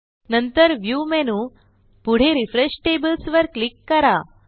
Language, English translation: Marathi, Next click on the View menu and then on Refresh Tables